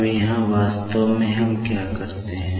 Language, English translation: Hindi, Now, here, actually what we do is